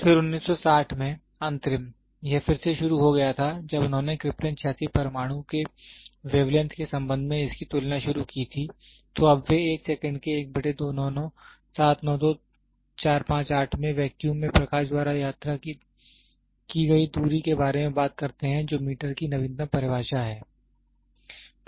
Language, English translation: Hindi, Then, interim in 1960, it was again they started comparing it with respect to wavelength of Krypton 86 atom, then now they talk about a distance travelled by light in vacuum in 1 by 299792458 of a second is the latest definition for meter